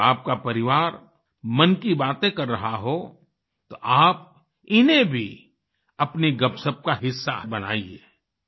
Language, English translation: Hindi, When your family is involved in close conversations, you should also make these a part of your chat